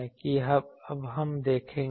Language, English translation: Hindi, That we will now see